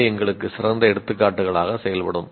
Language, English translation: Tamil, They will work as excellent examples for us